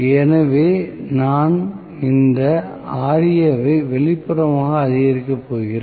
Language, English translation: Tamil, So, I am going to have this as Ra external increasing